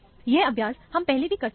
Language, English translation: Hindi, This is something, exercise, we have already done